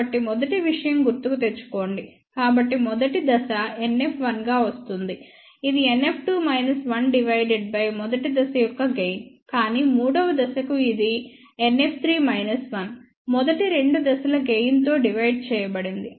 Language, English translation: Telugu, So, just recall the previous thing; so first stage comes as it is so NF 1, comes as it is NF 2 minus 1 divided by gain of the first stage, but for the third stage it is NF 3 minus 1 divided by gain of the first two stages